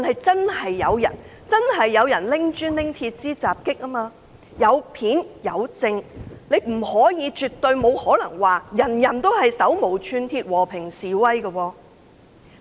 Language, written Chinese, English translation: Cantonese, 真的有人拿起磚頭及鐵枝襲擊警方，有片為證，絕對不可能說集會人士都是手無寸鐵、和平示威。, Some people did attack the Police with bricks and metal poles proven by video clips . We definitely cannot say that the participants in the assemblies were unarmed peaceful protesters